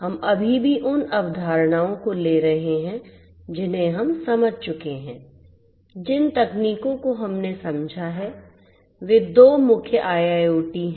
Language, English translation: Hindi, We are going to still borrow, those concepts that we have understood the technologies that we have understood are core two IIoT